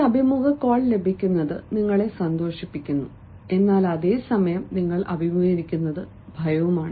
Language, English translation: Malayalam, getting an interview call makes you delighted, but then, at the same time, you are faced with some sort of fear